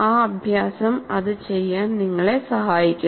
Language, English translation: Malayalam, So that exercise also will help you to do that